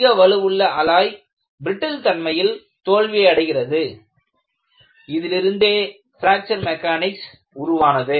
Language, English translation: Tamil, The high strength alloys fail in a brittle fashion has prompted the birth of Fracture Mechanics